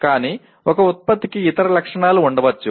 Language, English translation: Telugu, But a product may have other specifications